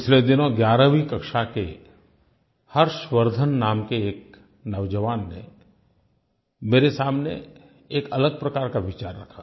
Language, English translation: Hindi, Recently, Harshvardhan, a young student of Eleventh Class has put before me a different type of thought